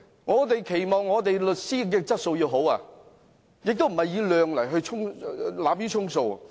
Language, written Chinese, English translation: Cantonese, 我們期望律師的質素要好，而不是濫竽充數。, We prefer quality over quantity when it comes to lawyers